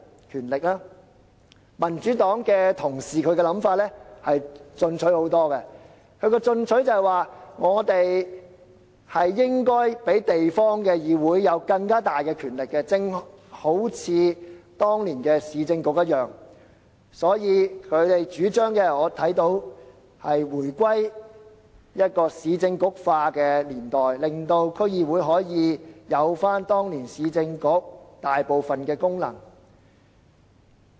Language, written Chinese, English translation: Cantonese, 至於民主黨的同事，他們想法進取得多，建議當局賦予地方議會更大的權力，正如當年的市政局一樣，他們的主張是回歸"市政局化"的年代，賦予區議會當年市政局負責的大部分的功能。, As for colleagues from the Democratic Party they are more aggressive . They propose that the authorities should devolve more powers to DCs as in the case of the former Urban Council . They propose to return to the Urban Council era by giving powers to DCs so that the latter can perform most of the functions vested in the former Urban Council